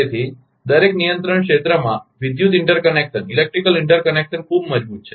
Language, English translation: Gujarati, So, the electrical interconnection within each control area are very strong